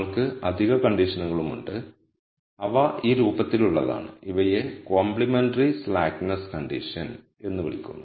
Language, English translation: Malayalam, We also have additional constraints, which are of this form, these are called complementary slackness condition